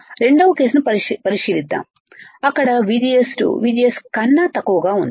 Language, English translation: Telugu, Let us consider second case where VGS 2 is less than VGS 1